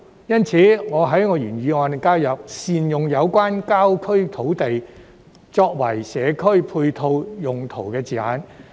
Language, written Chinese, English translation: Cantonese, 因此，我在原議案加入善用有關郊區土地，作為"社區配套用途"的字眼。, Hence I have added the wordings of ancillary community facilities in the original motion to make good use of the rural land